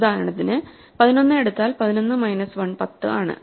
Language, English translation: Malayalam, If we take 11, for example, 11 minus 1 is 10, 10 by 2 is 5